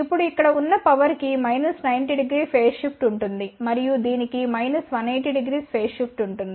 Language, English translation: Telugu, Now the power over here will have a minus 90 degree phase shift and this will have a minus 180 degree phase shift